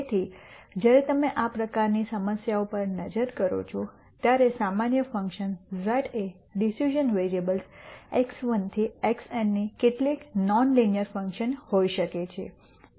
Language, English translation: Gujarati, So, when you look at these types of problems, a general function z could be some non linear function of decision variables x 1 to x n